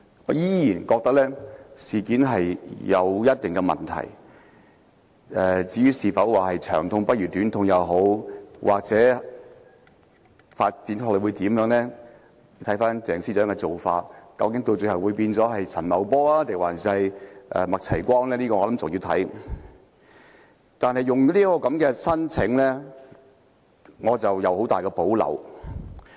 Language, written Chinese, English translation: Cantonese, 我依然覺得僭建事件有一定的問題，至於是否"長痛不如短痛"，又或之後的發展如何，究竟她最後會否變成陳茂波，還是麥齊光，便要看鄭司長的造化，我想仍有待觀察。, I still think that there are certain problems surrounding the UBWs incident . As to whether it is better to have a short pain than a long one how the matter is going to develop or whether she will end up like Paul CHAN or MAK Chai - kwong I would say it depends on whether fortune will smile on Secretary for Justice Teresa CHENG and it remains to be seen